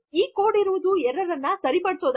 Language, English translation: Kannada, That code is to fix the error